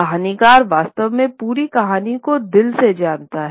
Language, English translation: Hindi, And the storyteller really knows the entire story by heart